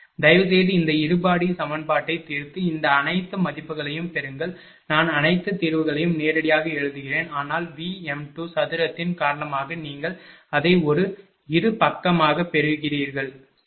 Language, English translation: Tamil, Please solve this quadratic equation and get all these value I am writing directly all the solution, but you get it is a quadratic because of v m 2 square you get it, right